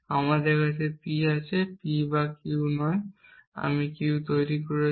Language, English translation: Bengali, And you can see this is again not P or Q and not Q and not P